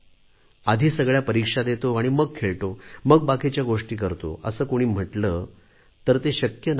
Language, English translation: Marathi, If someone says, "Let me finish with all exams first, I will play and do other things later"; well, that is impossible